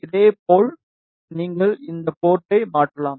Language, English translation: Tamil, In the similar way, you can transform this port